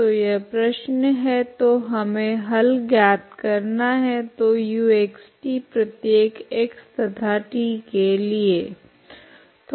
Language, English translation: Hindi, So this is the problem so we need to find a solution so u of x, t for every x and t